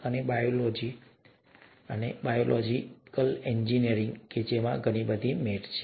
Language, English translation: Gujarati, And, biology, biological engineering, both have a lot of mats in them, as of now